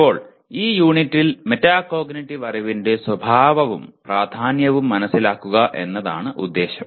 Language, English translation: Malayalam, Now this unit the outcome is understand the nature and importance of metacognitive knowledge